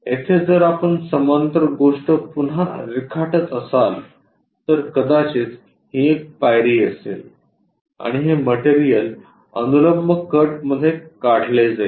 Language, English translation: Marathi, A parallel thing here if we are drawing perhaps again it goes a step kind of thing in this way possibly and this material is removed all the way into vertical cut